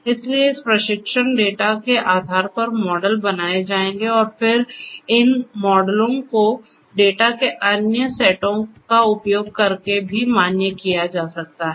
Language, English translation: Hindi, So, models will be created based on this training data and then these models could be also validated using other sets of data